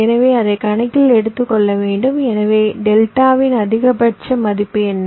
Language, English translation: Tamil, so what is the maximum value of delta